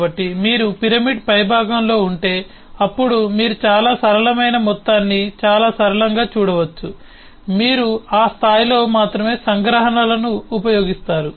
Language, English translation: Telugu, so if you are at the top of the pyramid then you get to see only very simple the whole thing in very simple terms